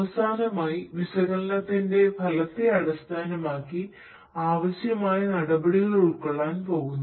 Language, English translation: Malayalam, And finally, based on the results of the analytics, requisite actions are going to be taken